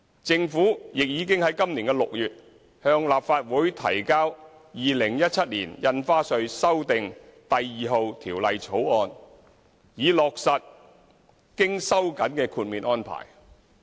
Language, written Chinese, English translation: Cantonese, 政府亦已在今年6月向立法會提交《2017年印花稅條例草案》，以落實經收緊的豁免安排。, The Government also tabled the Stamp Duty Amendment No . 2 Bill 2017 in the Legislative Council in June this year in order to give effect to the tightening of the exemption arrangement